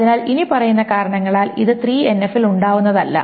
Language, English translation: Malayalam, So it is not in 3NF because of the following reason